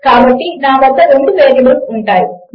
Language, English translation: Telugu, So, I will have 2 variables